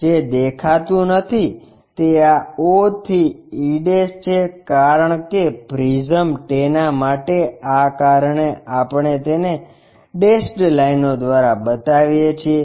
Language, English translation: Gujarati, What is not visible is this o to e' for that prism does the reason we show it by dashed lines